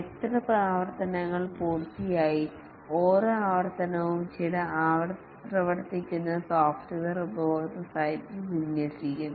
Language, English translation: Malayalam, How many iterations have been completed and each iteration some working software is deployed at the customer site